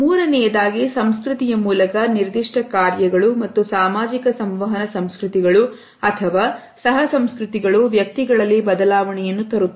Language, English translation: Kannada, And thirdly, through culture is specific tasks and social interactions that do vary across cultures, co cultures and individuals